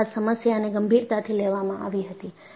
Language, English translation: Gujarati, Then the problem was taken up seriously